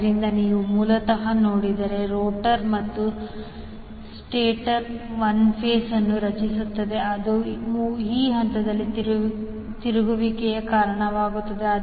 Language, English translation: Kannada, So, in that way if you see basically, the rotor and stator will create 1 flux which will cause the rotation of these phases